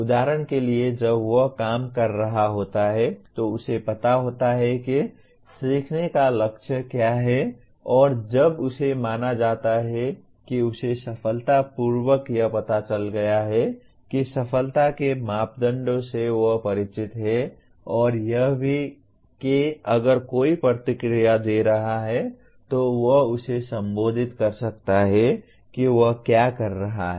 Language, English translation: Hindi, For example when he is working he knows what the learning goal is and when is he considered to have successfully learnt that success criteria he is aware of and also if somebody is giving feedback he can relate it to what he was doing